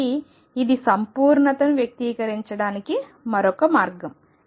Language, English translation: Telugu, So, this is another way of expressing completeness